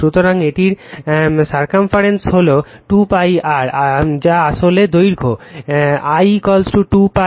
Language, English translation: Bengali, So, it is circumference is 2 pi r that is actually length l is equal to 2 pi r